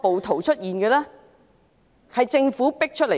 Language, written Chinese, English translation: Cantonese, 他們是政府迫出來的。, They were forced to come out by the Government